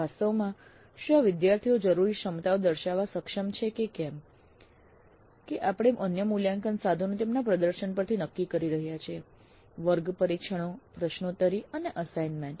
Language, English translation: Gujarati, Actually whether the students are capable of demonstrating the required competencies that we are judging from their performance in the other assessment instruments, class tests, quizzes and assignments